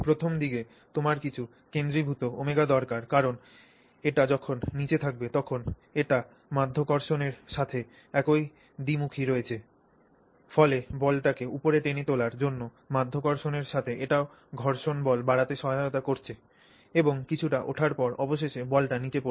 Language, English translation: Bengali, Initially you do need some centrifugal some omega because that is what is causing the, you know, I mean it is helping along with gravity when it is below it is helping along with gravity to give you the frictional force to drag the ball up and then eventually it falls down